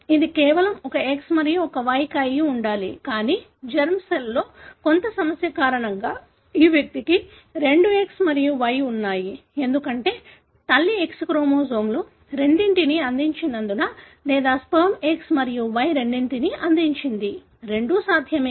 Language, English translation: Telugu, It should have been just one X and one Y, but due to some problem in the germ cell, this individual is having two X and Y, either because the mother has contributed both X chromosomes or the sperm has contributed both X and Y; both are possible